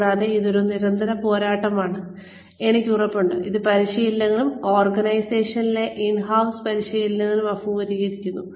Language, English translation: Malayalam, And, I am sure that this is a constant struggle, that trainers, in house trainers in organizations, also face